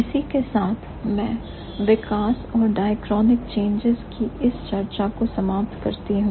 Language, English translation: Hindi, So, with this I would stop the discussion on developmental and dichronic changes